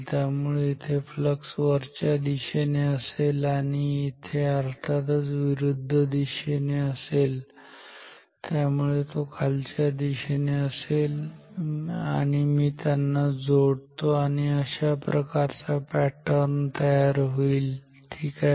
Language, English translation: Marathi, So, flux here will be upwards here it will be in the opposite direction of course, so it will be downwards and let me join them so this will be the flux pattern ok